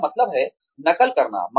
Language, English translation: Hindi, Which means, copying